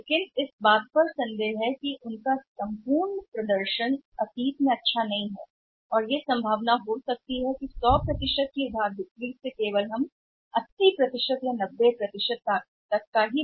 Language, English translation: Hindi, But there is doubt that their overall performance is not good in the past there may be possible that out of the 100% credit sales we may recover only 80% or 90% are there is a possibility that we may lose 10%